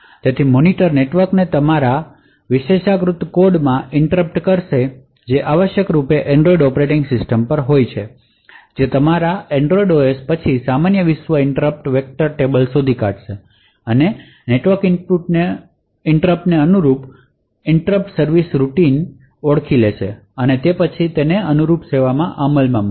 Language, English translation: Gujarati, So therefore the monitor would channel the network interrupt to your privileged code which essentially could be at Android operating system your Android OS would then look up the normal world interrupt vector table identify the interrupt service routine corresponding to the network interrupt and then execute that corresponding service routine